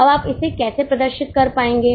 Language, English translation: Hindi, Now, how will you be able to chart it